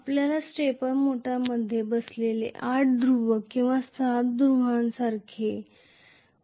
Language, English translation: Marathi, You may have something like eight poles or six poles sitting in a stepper motor